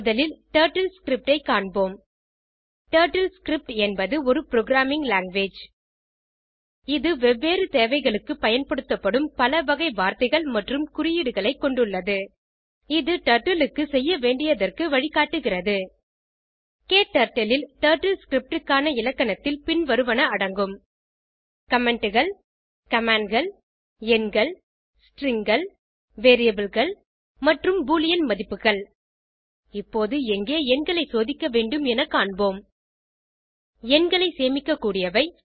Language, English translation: Tamil, Lets first look at TurtleScript TurtleScript is a programming language It has different types of words and symbols used for various purposes It instructs Turtle what to do Grammar of TurtleScript in KTurtle includes Comments Commands Numbers Strings Variables and Boolean values Now we will see where to store numbers Numbers can be stored in Mathematical operators Comparison operators and Variables I will zoom the program text for clear view